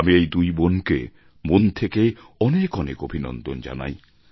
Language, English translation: Bengali, Many congratulation to these two sisters